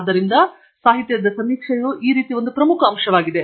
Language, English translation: Kannada, So, literature survey that way is a very important aspect